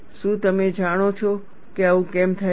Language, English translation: Gujarati, Do you know why this happens